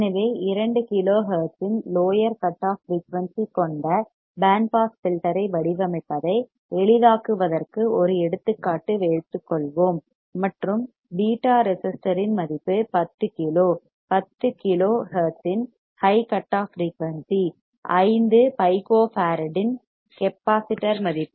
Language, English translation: Tamil, So, let us take an example to make it easier design a band pass filter with a lower cutoff frequency of two kilo hertz, and beta resistor value of 10 kilo high cutoff frequency of 10 kilo hertz capacitor value of 5 Pico farad